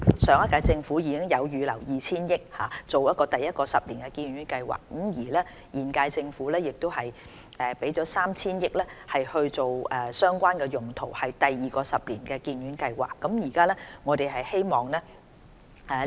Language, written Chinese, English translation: Cantonese, 上屆政府已預留 2,000 億元推行第一個十年醫院發展計劃，而現屆政府亦預留 3,000 億元作相關用途，用以推行第二個十年醫院發展計劃。, The previous - term Government has set aside 200 billion for implementing the first 10 - year hospital development plan . The present - term Government has also set aside 300 billion for the relevant purpose so as to implement the second 10 - year hospital development plan